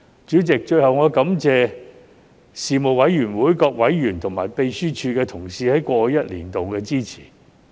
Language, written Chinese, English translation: Cantonese, 主席，最後我感謝事務委員會各委員和秘書處同事在過去一年的支持。, President lastly I would like to thank members of the Panel and colleagues of the Secretariat for their support over the past year